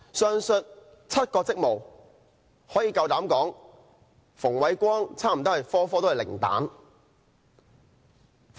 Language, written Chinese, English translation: Cantonese, 上述7個職務，我敢膽說馮煒光差不多全都取得零分。, I dare say Andrew FUNG scores zero in performing almost all the aforesaid seven duties